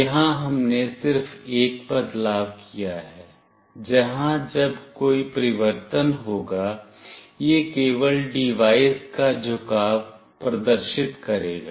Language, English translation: Hindi, Here we have just made one change, where it will display the orientation of the device only when there is a change